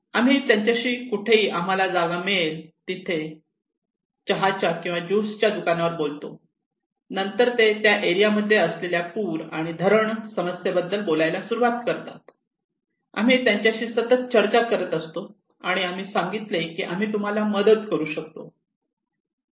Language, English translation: Marathi, We have chat over on tea stall and juice shop wherever whatever places we have, then they started talk about the flood and waterlogging problem in this area and we had continuous discussions and we said can we help you